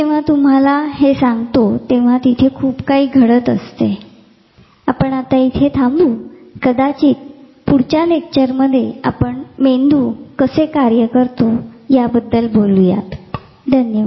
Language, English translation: Marathi, When, I am telling you this there is a huge thing which goes in we will end at this and then may be next lecture we will pick up something more about how the brain functions